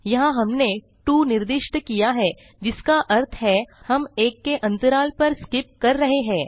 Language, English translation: Hindi, Here we gave two which means we are skipping every alternate element